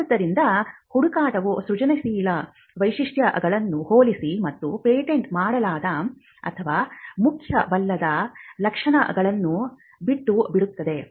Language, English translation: Kannada, So, that the search is done comparing the inventive features and leaving out the non patentable or the trivial features